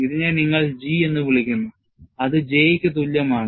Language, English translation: Malayalam, And this, you call it as G, which is also equal to J